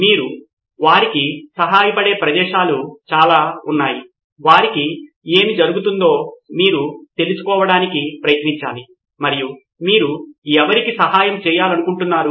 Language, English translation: Telugu, People have a lot of places where you can help them out, you can find out what is going on with them, who are you want to try and help